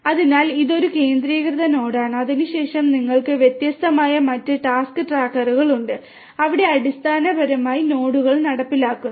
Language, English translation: Malayalam, So, this is a centralised node and then you have this different other task trackers for example, which are basically being executed in the data nodes